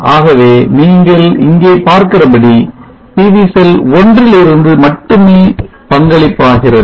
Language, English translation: Tamil, So here you see that the contribution is only from PV cell 1